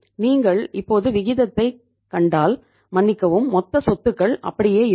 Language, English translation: Tamil, If you now see the ratio uh sorry total assets will remain the same